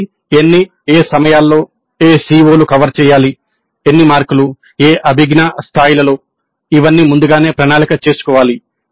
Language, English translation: Telugu, So, how many, at what times, what are the COs to be covered, for how many marks, at what cognitive levels, all this must be planned upfront